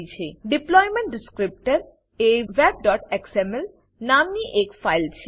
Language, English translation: Gujarati, The deployment descriptor is a file named web.xml